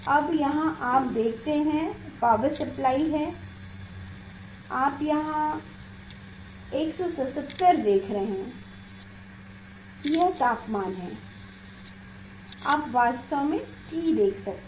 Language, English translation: Hindi, now, here you see in this power supply here 177 you are seeing here this temperature this is you can see T actual